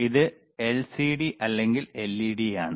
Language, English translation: Malayalam, tThis is on LCD or ledLED